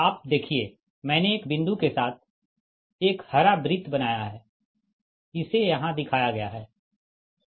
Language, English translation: Hindi, you see, i made a green circle with a dot right, it is shown here